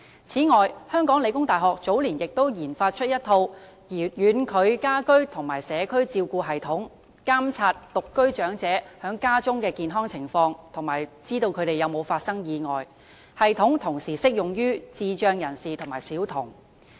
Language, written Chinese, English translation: Cantonese, 此外，香港理工大學早年亦研發了一套"遠距家居及社區照護系統"，監察獨居長者在家中的健康情況，以及查看他們有否發生意外，該系統同時適用於智障人士及小童。, Besides some years ago The Hong Kong Polytechnic University also developed the TeleCare System monitoring the health conditions of elderly singletons and watching out for any accident to them at home . The system is also applicable to persons with intellectual disabilities and children